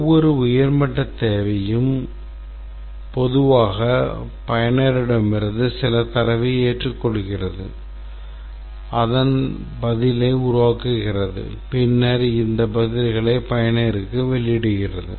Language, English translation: Tamil, Every high level requirement typically accept some data from user, transforms it the response and then outputs this response to the user